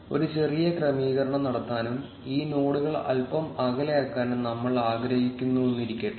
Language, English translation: Malayalam, Let us say we want to make a small adjustment and make these nodes a little far away